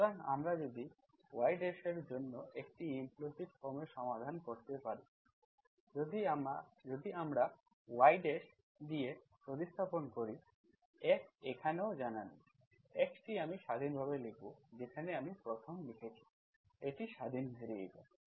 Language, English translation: Bengali, So if we can solve for y dash in an, in an explicit form, so if you have an explicit form like this were still I replace this F, F is still not known, x I will write independent, wherever I am writing 1st, it is the independent variable